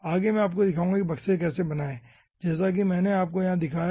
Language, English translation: Hindi, ah, how to create, ah, how to create the boxes, as i have shown you over here here